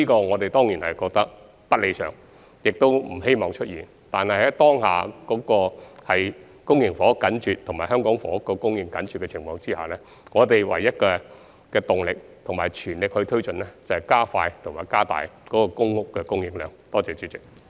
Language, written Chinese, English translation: Cantonese, 我們當然認為這不是理想情況，也不希望出現這問題，但在當下公營房屋緊絀和香港房屋供應緊張的情況下，唯一的動力和必須全力推進的工作就是加快和加大公屋的供應量。, Certainly we consider this undesirable and do not wish to see the occurrence of such a problem but given the current tight supply of public housing and insufficient housing supply in Hong Kong the only task that we should fully take forward is to speed up and increase the supply of public housing